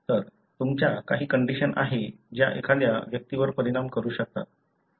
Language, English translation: Marathi, So, you end up having some condition which may affect the individual